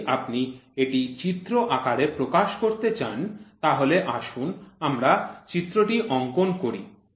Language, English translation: Bengali, If you want this to be represented into a figure form then let us draw the figure so it is like this